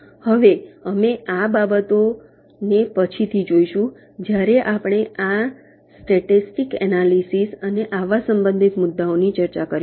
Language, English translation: Gujarati, now we shall be looking at these things later when we discuss this ah, static timing analysis and maybe, and such related issues